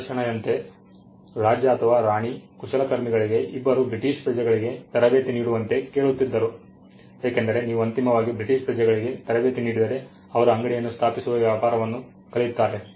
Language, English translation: Kannada, The king or the queen would ask the craftsman to train 2 British nationals, because if you train to British nationals eventually, they will learn the trade they will set up shop